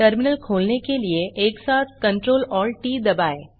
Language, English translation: Hindi, Press CTRL+ALT+T simultaneously to open the Terminal